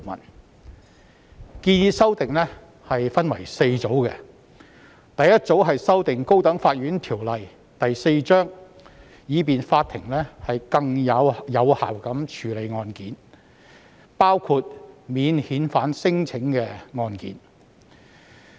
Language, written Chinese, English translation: Cantonese, 有關建議修訂分為4組，第一組修訂《高等法院條例》，以便法庭更有效地處理案件，包括免遣返聲請的案件。, The proposed amendments are divided into four groups . The first group concerns the amendments to the High Court Ordinance Cap . 4 to enable the court to handle cases including the non - refoulement claims more efficiently